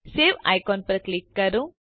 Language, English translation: Gujarati, Click on the Save icon